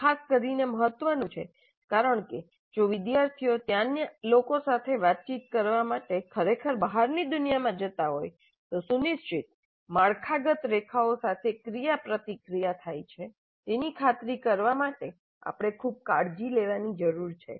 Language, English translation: Gujarati, That is particularly important because if the students are really going into the outside world to interact with people there we need to be very careful to ensure that the interaction occurs along well directed structured lines